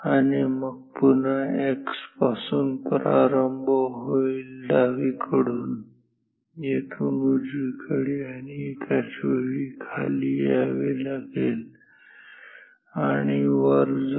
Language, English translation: Marathi, And, then again from x will start from extreme left here go towards the right and simultaneous we have to come down and up